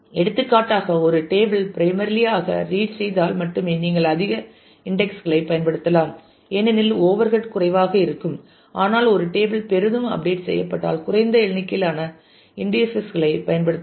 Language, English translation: Tamil, For example, if a table is primarily read only you might use more indexes because the overhead will be less, but if a table is heavily updated you might use fewer number of indices